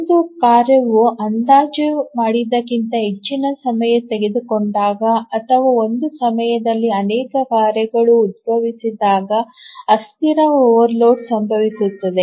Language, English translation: Kannada, A transient overload occurs when a task takes more time than it is estimated or maybe too many tasks arise at some time instant